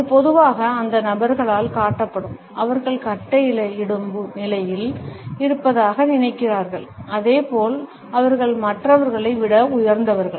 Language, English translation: Tamil, This is commonly displayed by those people, who think that they are in a position to command as well as they are somehow superior to others